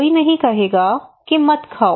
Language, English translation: Hindi, Nobody would tell you do not eat